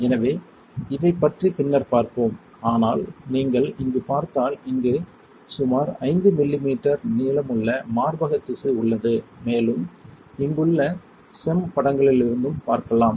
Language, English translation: Tamil, So, we will see about this later, but if you see here what you see is there is a breast tissue here which is about 5 millimetre in length and you can also see from SEM images which is right over here